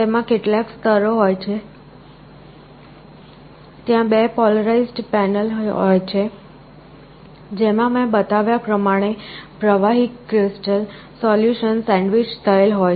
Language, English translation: Gujarati, It consists of several layers, there are 2 polarized panels with a liquid crystal solution sandwiched between them as I have shown